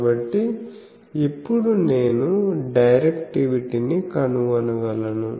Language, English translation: Telugu, So, now, I can find directivity